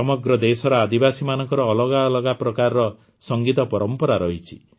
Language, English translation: Odia, Tribals across the country have different musical traditions